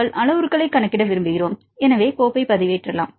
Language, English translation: Tamil, So, we want to calculate the parameters then you can upload the file